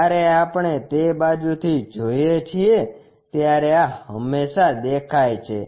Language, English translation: Gujarati, When we are looking from that side, this one always be visible